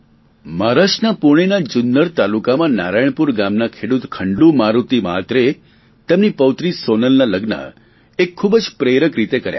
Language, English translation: Gujarati, Shri Khandu Maruti Mhatre, a farmer of Narayanpur village of of Junner Taluka of Pune got his granddaughter Sonal married in a very inspiring manner